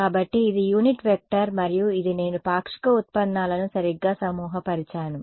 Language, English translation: Telugu, So, this is a unit vector and this is in terms of I have grouped the partial derivatives right